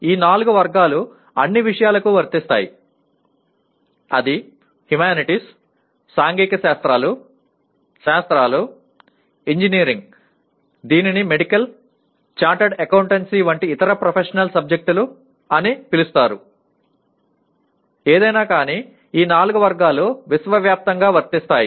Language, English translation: Telugu, There are also while these four categories apply to all subjects whether it is humanities, social sciences, sciences, engineering call it the other professional subjects like medicine, chartered accountancy anything that you talk about, all these four categories are universally applicable